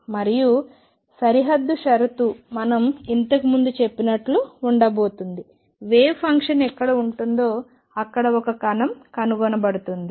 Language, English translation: Telugu, And the boundary condition is going to be as we said earlier that wave function wherever it is finite there is a particle is to be found there